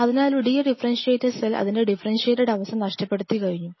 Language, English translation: Malayalam, So, but for the time being a de differentiated cell loses it is that unique capability of is differentiated state